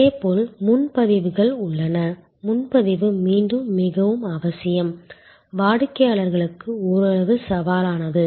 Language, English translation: Tamil, Similarly, there are reservations, reservation are again very necessary, somewhat challenging for the customers